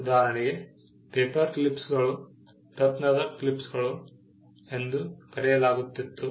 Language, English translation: Kannada, For instance; paperclips were also known as gem clips